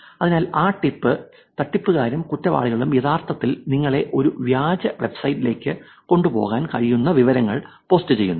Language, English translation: Malayalam, So, in that tip, people actually, the scammers and the criminals actually post information that can take you to a fake website